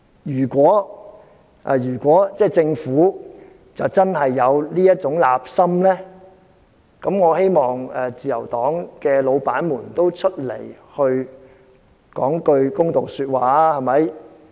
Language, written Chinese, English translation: Cantonese, 如果政府真的有這種意圖，我希望自由黨的老闆出來說句公道話。, If the Government really has such an intention I hope the bosses in the Liberal Party will come forward to make a fair comment